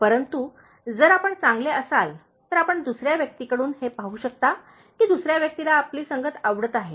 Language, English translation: Marathi, But, if you, if you are good you can see from the other person that the other person is liking your company